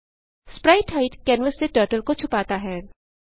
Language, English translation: Hindi, spritehide hides Turtle from canvas